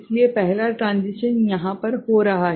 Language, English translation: Hindi, So, the first transition is occurring over here